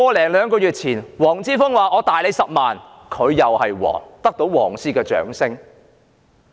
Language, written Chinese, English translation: Cantonese, 一兩個月前，黃之鋒說他有10萬個口罩，他就是皇，得到"黃絲"的掌聲。, A couple of months ago Joshua WONG said he had 100 000 masks he became king and won the applause from the yellow ribbons